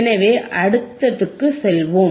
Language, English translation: Tamil, So, let us go to the next one right